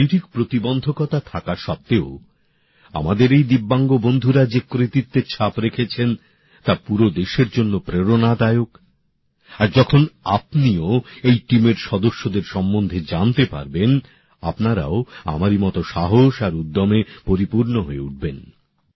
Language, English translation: Bengali, Despite the challenges of physical ability, the feats that these Divyangs have achieved are an inspiration for the whole country and when you get to know about the members of this team, you will also be filled with courage and enthusiasm, just like I was